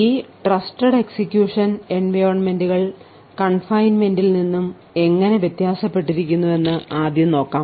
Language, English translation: Malayalam, We first start of it is in how this particular Trusted Execution Environments is different from confinement